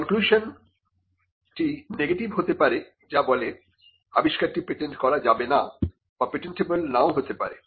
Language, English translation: Bengali, The conclusion could be a negative one stating that the invention cannot be patented or may not be patentable